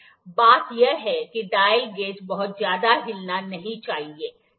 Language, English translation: Hindi, The thing is that the dial gauge should not be moving very much, ok